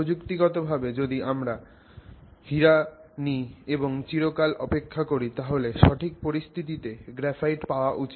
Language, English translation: Bengali, So, technically if you take diamond and you wait forever, you should end up arriving at graphite under the right circumstances